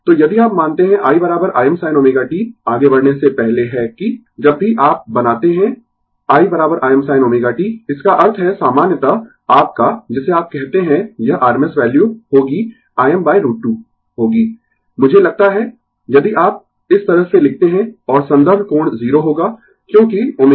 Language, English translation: Hindi, So, if you assume, i is equal to I m sin omega t before moving is that, whenever you make i is equal to I m sin omega t that means, that means in general your what you call, it will be rms value will be I m by root 2 I think if you write like this, and reference will be angle 0, because omega t